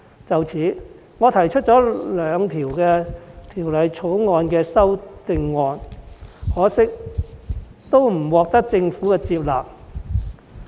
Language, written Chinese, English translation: Cantonese, 就此，我對《條例草案》提出了兩項擬議修正案，可惜都不獲政府接納。, In this connection I have introduced two proposed amendments to the Bill; yet regrettably both of them were inadmissible